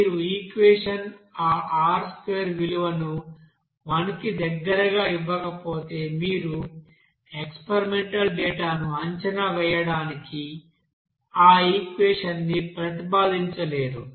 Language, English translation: Telugu, If your equation is not giving that R square value near about 1 you cannot propose that equation to predict the experimental data